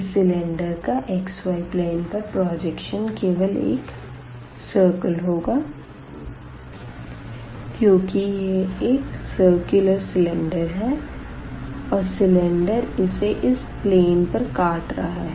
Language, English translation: Hindi, So, this projection on the xy plane is nothing, but the circle because it was a circular cylinder and the projection is given as here by this circle